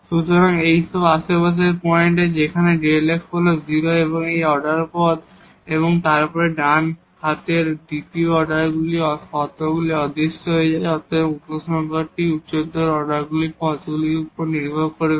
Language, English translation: Bengali, So, all these are the points in the neighborhood where delta f is 0 plus this third order terms, then the second order terms of the right hand side vanish and then therefore, the conclusion will depend on the higher order terms